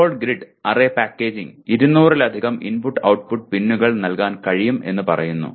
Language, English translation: Malayalam, Ball grid array packaging can provide for more than 200 input output pins